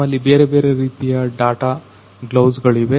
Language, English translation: Kannada, So, we are having different kinds of data gloves